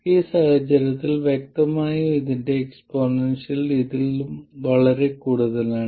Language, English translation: Malayalam, In this case clearly the exponential of this is much more than this